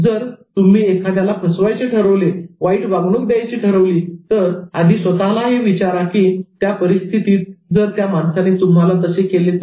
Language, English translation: Marathi, And if you decide to betray someone or to give an unfair treatment, ask yourself whether that person would do the same to you in the given circumstance